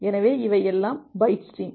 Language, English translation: Tamil, So, everything is byte stream